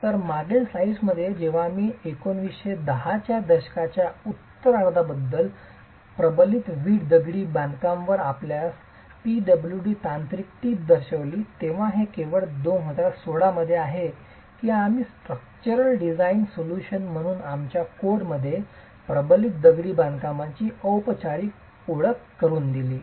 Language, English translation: Marathi, So, in the previous slides when I showed you the PWD technical note on reinforced brick masonry, that was late 1910s, 1920s, but it's only in 2016 that we have formally introduced reinforced masonry into our codes as a structural design solution